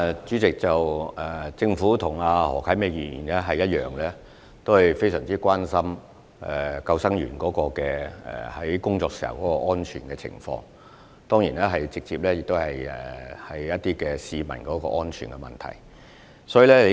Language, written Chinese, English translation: Cantonese, 主席，政府與何啟明議員同樣非常關注救生員工作時的安全，當然這也直接與市民的安全相關。, President like Mr HO Kai - ming the Government is extremely concerned about the safety of lifeguards at work which definitely has a direct bearing on the safety of the public